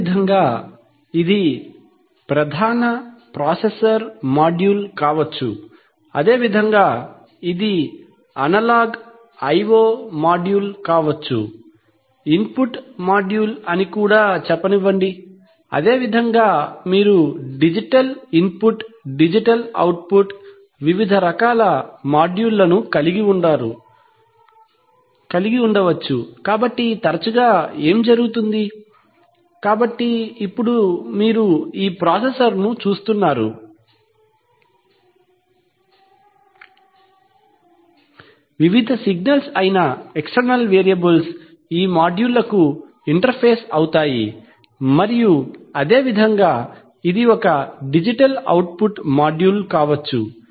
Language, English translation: Telugu, Similarly, so this could be a, this could be the main processor module, similarly this could be an analog i/o module, input module let us say, similarly you can have digital input, digital output, various kinds of modules, so what happens often is that, so now you see this processor, the external variables that is the various signals get interface to these modules and similarly this could be a digital output module